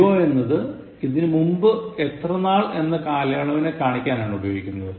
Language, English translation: Malayalam, Ago refers to the amount of time that has been spent before the present